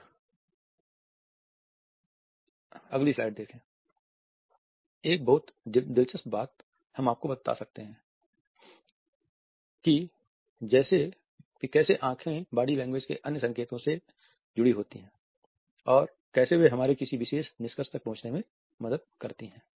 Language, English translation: Hindi, A very interesting we do you suggest how eyes are connected with other cues from body language and how they help us to reach a particular conclusion